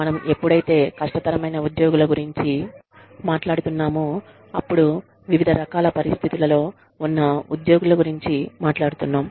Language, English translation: Telugu, You know, when we talk about difficult employees, we are talking about employees, in different kinds of situations